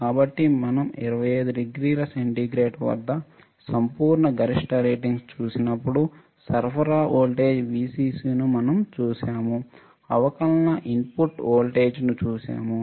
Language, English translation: Telugu, So, when we look at the absolute maximum ratings at 25 degree centigrade, what we see supply voltage right Vcc we have seen that differential input voltage